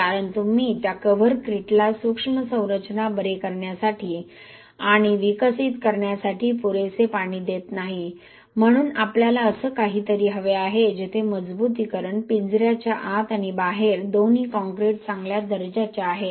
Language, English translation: Marathi, Because you are not providing sufficient water for that covercrete to cure and develop the microstructure, so what we need is something like this where both concrete inside and outside the reinforcing reinforcement cage is of good quality